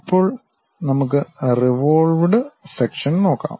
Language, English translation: Malayalam, Now, let us look at revolved sections